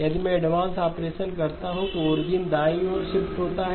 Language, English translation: Hindi, If I do an advance operation the origin shifts to the right